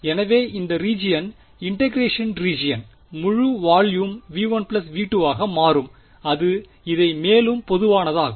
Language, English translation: Tamil, So, the region the region of integration is going to be the full volume V 1 plus V 2 that makes it more general